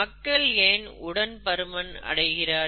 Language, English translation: Tamil, You know, why people become obese